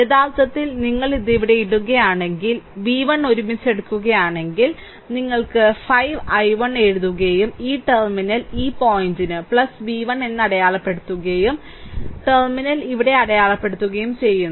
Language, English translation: Malayalam, Then in this case what will happen, this i 1 so it will be actually, if you just putting it here, taking v 1 together right, then what will happen that your you write 5 i 1, and this terminal this point is plus i marked it here right, plus v 1 right and encountering minus terminal here